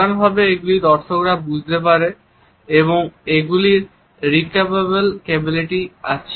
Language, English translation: Bengali, They can be in general understood by viewers and they also have what is known as a repeatable capability